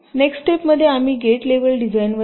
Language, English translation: Marathi, ok, in in the next step we come to the gate level design